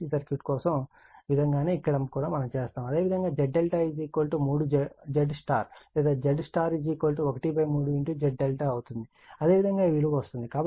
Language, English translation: Telugu, The way we have made it for DC circuit, same way we do it; you will get Z if Z delta is will be 3 Z Y right or Z Y will be 1 by 3 Z delta same way you do it, you will get it right